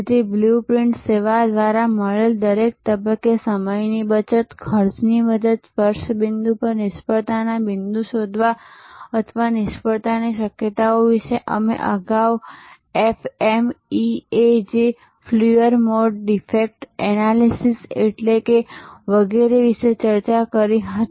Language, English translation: Gujarati, So, time saving, cost saving at every stage found through the service blue print, finding the failure points at the touch points or failure possibilities we discussed about that FMEA Failure Mode Defect Analysis, etc earlier